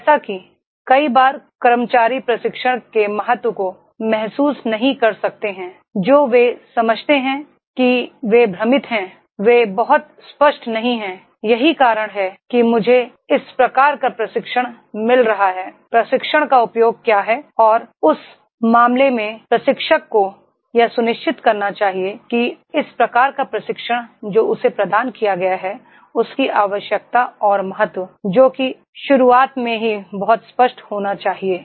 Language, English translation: Hindi, Like many a times employees are not realizing the importance of training, what they understand is that they are confused, they are not very clear that is why I am getting this type of the training, what is the use of the training and in that case trainer should ensure that this type of the training which has been provided to the that is the importance, need and importance of training that should be very clear in the beginning itself